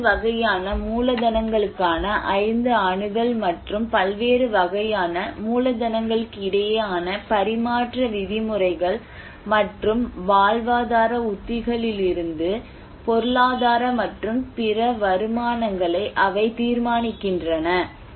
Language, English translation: Tamil, They determine the 5 access to 5 different type of capitals and terms of exchange between different types of capitals and the economic and other returns from livelihood strategies